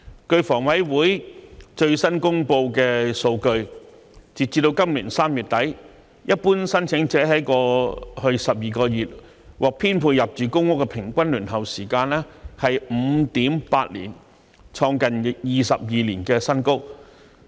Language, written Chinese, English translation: Cantonese, 據香港房屋委員會最新公布的數據，截至今年3月底，一般申請者在過去12個月獲編配入住公屋的平均輪候時間是 5.8 年，創近22年新高。, According to the latest data released by the Hong Kong Housing Authority as at the end of March this year the average waiting time for general applicants to be allocated public housing in the past 12 months was 5.8 years which is a record high in nearly 22 years